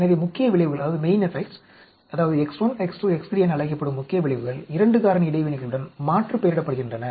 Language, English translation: Tamil, So, main effects that is X 1, X 2, X 3 are called main effects are aliased with 2 factor interactions